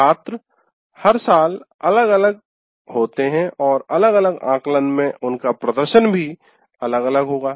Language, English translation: Hindi, First thing is students are different every year and their performance in different assessment will also differ